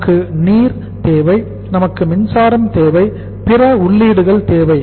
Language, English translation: Tamil, Water we need, power we need, other inputs we need